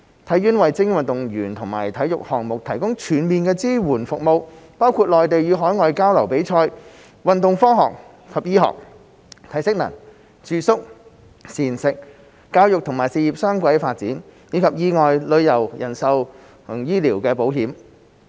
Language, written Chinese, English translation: Cantonese, 體院為精英運動員和體育項目提供全面支援服務，包括內地與海外交流及比賽、運動科學及醫學、體適能、住宿、膳食、教育與事業雙軌發展，以及意外、旅遊、人壽及醫療保險。, HKSI provides comprehensive support services for elite athletes and sports including Mainland and overseas exchanges and competitions sports science sports medicine strength and conditioning accommodation meals and dual career development in sports and education as well as accident travel life and medical insurance